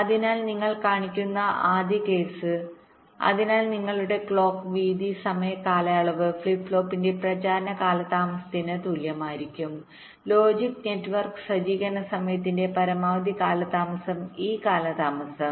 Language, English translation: Malayalam, so there your clock width time period must be greater than equal to the propagation delay of the flip flop, the maximum delay of the logic network setup time, minus this delay